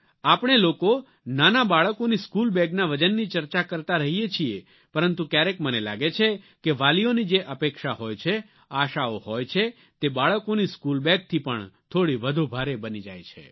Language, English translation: Gujarati, We keep deliberating on the heavy weight of our tiny tots' school bags, but there are times when I feel that expectations and aspirations on the part of parents are far too heavier compared to those school bags